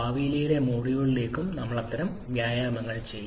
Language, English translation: Malayalam, And we shall be doing several such exercises in the future modules as well